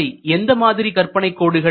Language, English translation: Tamil, What type of imaginary lines